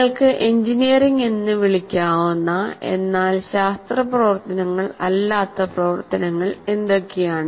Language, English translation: Malayalam, What are all the activities that you can call strictly engineering but not really science activities